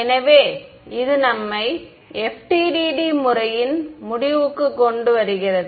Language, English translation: Tamil, So, this brings us to an end of the FDTD method right